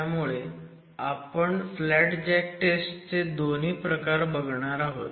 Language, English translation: Marathi, So, we will examine both these versions of the flat jack testing